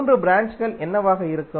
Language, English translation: Tamil, What would be the three branches